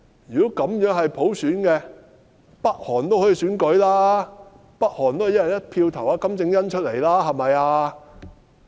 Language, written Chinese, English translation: Cantonese, 如果這都算是普選，北韓都可以實施普選，北韓都可以"一人一票"選金正恩出來，對吧？, If that could be treated as a universal suffrage package even North Korea could implement universal suffrage and KIM Jong - un could be elected through one person one vote by the North Koreans right?